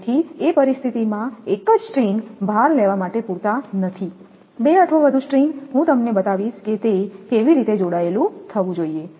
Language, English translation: Gujarati, So, in case of a single string is not sufficient to take the load two or more string, I will just show you that how it should be connected